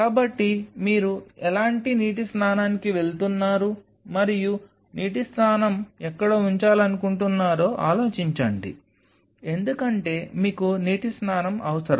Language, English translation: Telugu, So, think over its what kind of water bath you are going and where you want to place the water bath because you will be needing water bath